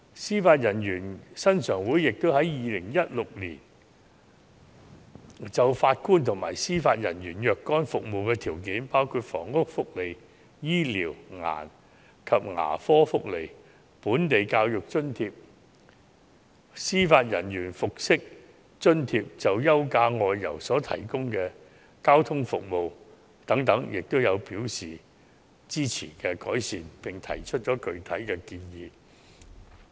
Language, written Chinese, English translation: Cantonese, 司法人員薪常會也於2016年就法官及司法人員的若干服務條件，包括房屋福利、醫療及牙科福利、本地教育津貼、司法人員服飾津貼及就休假外遊提供的交通服務等，表示支持改善，並提出具體建議。, The Judicial Committee also expressed its support for improving certain conditions of service of JJOs in 2016 including housing benefits medical and dental benefits local education allowance judicial dress allowance and leave passage allowance etc . Specific recommendations were thus made